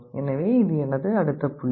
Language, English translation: Tamil, So, this is my next point